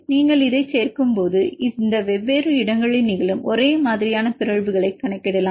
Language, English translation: Tamil, When you add this you can account the mutants which are occurring at this different places the same mutations